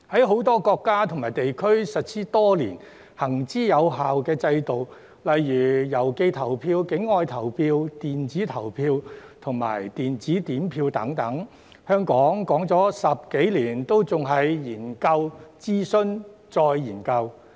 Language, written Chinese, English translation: Cantonese, 很多國家和地區已實施多年及行之有效的制度，例如郵寄投票、境外投票、電子投票和電子點票等，香港提出了10多年仍處於研究、諮詢、再研究的階段。, With regard to some systems implemented in many countries and regions for years which have been proven effective such as postal voting external voting electronic voting and electronic counting of votes Hong Kong is still at the stages of study consultation and restudy after such proposals have been made for more than a decade